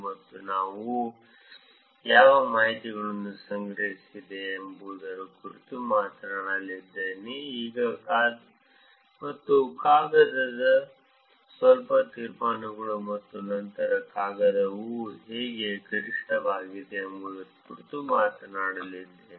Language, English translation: Kannada, And I am talking about what information was collected, and a little bit of conclusions of the paper itself, and then talking about how the paper is out maxed